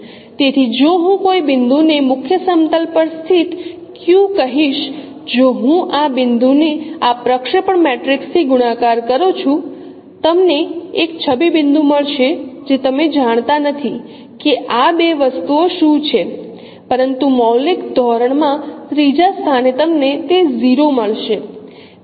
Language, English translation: Gujarati, So if I consider any point say Q which lies on a principal plane if I consider any point, say, Q which lies on a principal plane, if I multiply that point with this projection matrix, you will get an image point, you do not know what these two things are there, but surely in the third place in the scaling dimension you will get it zero